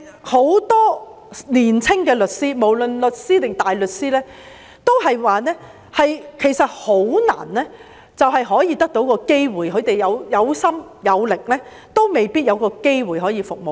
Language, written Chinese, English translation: Cantonese, 很多年輕律師，無論是律師或大律師，都表示很難有機會加入司法機構，他們有心有力，也未必有機會可以服務市民。, Many young lawyers be they solicitors or barristers have said that it is difficult to join the Judiciary . Although they are enthusiastic and capable they may not have the opportunity to serve the public